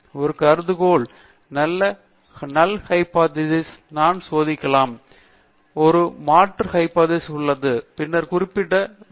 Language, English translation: Tamil, Whenever I am testing an hypothesis or any null hypothesis there is an alternative hypothesis, then I have to specify